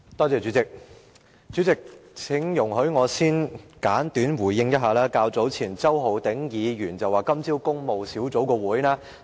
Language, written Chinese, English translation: Cantonese, 主席，請容許我先簡短回應一下周浩鼎議員所說的話。, President please allow me to first respond briefly to the speech of Mr Holden CHOW